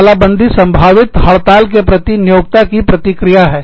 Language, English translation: Hindi, Now, lockout is the response of an employer, to a potential strike